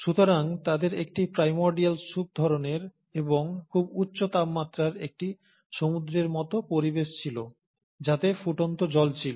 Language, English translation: Bengali, So they had a primordial soup kind and they had an ocean kind of environment at a very high temperature, which is the boiling water